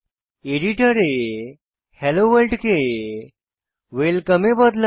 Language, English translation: Bengali, Now, In the editor, change Hello World to Welcome